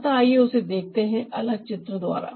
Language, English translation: Hindi, so let's see that with another diagram